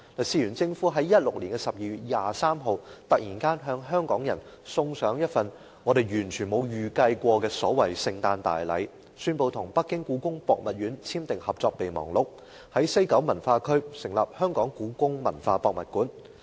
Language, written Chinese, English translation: Cantonese, 事緣政府在2016年12月23日，突然向香港人送上一份我們完全沒有預計過的所謂聖誕大禮，宣布跟北京故宮博物院簽訂《合作備忘錄》，在西九文化區興建故宮館。, On 23 December 2016 the Government suddenly gave Hong Kong people a so - called Christmas gift that we had never expected . It announced that a Memorandum of Understanding of Cooperation MOU was signed between the West Kowloon Cultural District Authority WKCDA and the Beijing Palace Museum on the development of HKPM